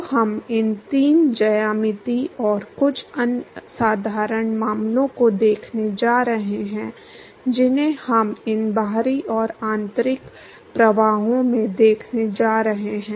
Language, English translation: Hindi, So, we going to see these three geometries, and few other simple case which we going to see in these external and the internal flows